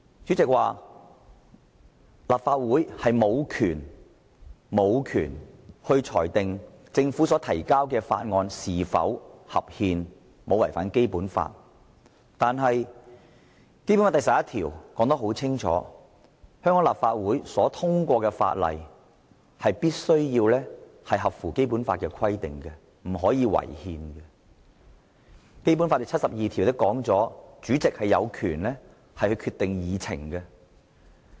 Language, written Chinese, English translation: Cantonese, 主席說立法會無權裁定政府提交的法案是否合憲和是否違反《基本法》，但《基本法》第十一條已清楚訂明，香港立法會制定的法例必須符合《基本法》的規定，不可以違憲，而《基本法》第七十二條亦規定主席有權決定議程。, According to the President the Legislative Council does not have the authority to rule whether a bill proposed by the Government is constitutional and whether it has contravened the Basic Law . However Article 11 of the Basic Law clearly stipulates that laws enacted by the Hong Kong Legislative Council shall comply with the Basic Law and must not be unconstitutional whereas Article 72 of the Basic Law also stipulates that the President has the power to decide on the agenda